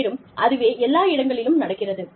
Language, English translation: Tamil, And, that are, all over the place